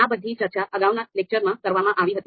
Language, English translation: Gujarati, So all this part was discussed in the previous lectures